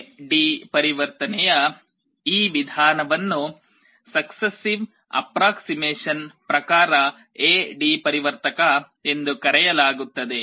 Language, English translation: Kannada, This method of A/D conversion is called successive approximation type A/D converter